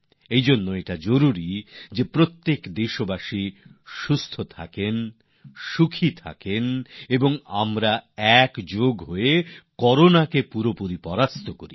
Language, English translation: Bengali, For this to happen, it is imperative that each citizen remains hale & hearty and is part of our collective efforts to overcome Corona